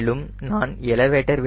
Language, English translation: Tamil, so i have to give elevator up